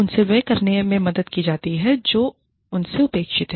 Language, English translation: Hindi, They are helped to do, whatever is expected of them